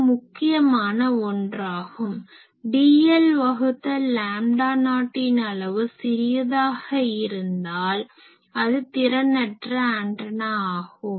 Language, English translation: Tamil, So, this is an important thing that dl by lambda not, this size being small current element is a very inefficient antenna